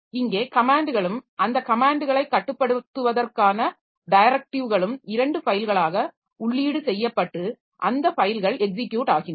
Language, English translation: Tamil, So, here the commands and directives to control those commands are entered into files and those files are executed